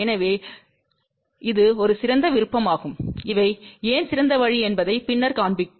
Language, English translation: Tamil, So, this is one of the best option and will show you later on why these are the best option